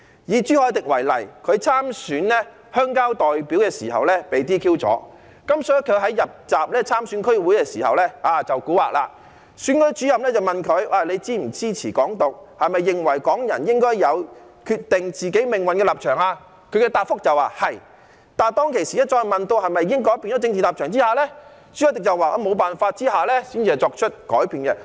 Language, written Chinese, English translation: Cantonese, 以朱凱廸為例，他參選鄉郊代表時被 "DQ"， 所以他在參選區議會時便出古惑，選舉主任問他是否支持"港獨"，是否認為港人應該有決定自己命運的立場時，他答覆說"是"，但當他被問及是否已經改變政治立場時，朱凱廸說在沒辦法下才作出改變。, After being DQ in the rural representative election he played tricks when he filed his candidacy for the District Council election . When the Returning Officer asked him whether he supported Hong Kong independence and whether he held the position that Hong Kong people should determine their own destiny he replied in the affirmative . But when being asked whether he had changed his political position CHU Hoi - dick said that he changed it only because he had no alternative